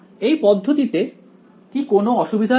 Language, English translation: Bengali, Does is there any problem with this approach